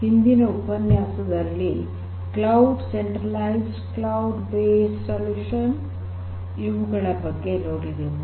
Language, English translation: Kannada, In the previous lecture we looked at cloud, cloud based solutions, but cloud based solutions are typically centralized